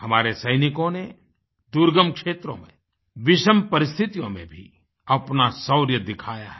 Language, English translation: Hindi, Our soldiers have displayed great valour in difficult areas and adverse conditions